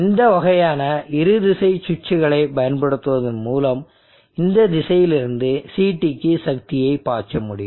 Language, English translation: Tamil, And by using these kinds of bi directional switches you will be able to make power flow from this direction to CT and to this direction